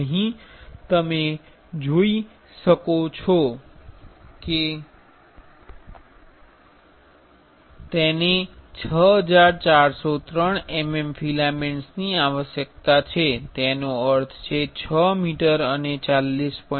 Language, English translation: Gujarati, Here you can see it require 6403 mm of filaments; that means, 6 meters and 40